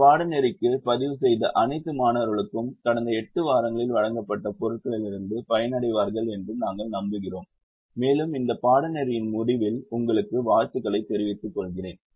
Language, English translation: Tamil, we hope that all the students have registered for this course would benefit from the material that has been presented in the last eight weeks and let me wish you all the best at the end of this course